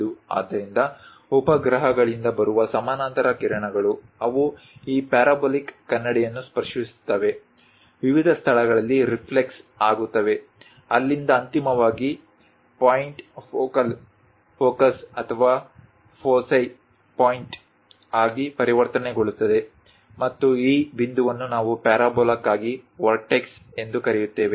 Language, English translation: Kannada, So, the parallel beams from satellites coming, they will reflect touch this parabolic mirror, reflux at different locations; from there finally, converged to a point focal, focus or foci point and this point what we call vortex for a parabola